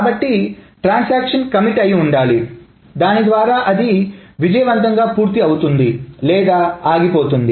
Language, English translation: Telugu, So either a transaction commits which means it has completed everything successfully or it aborts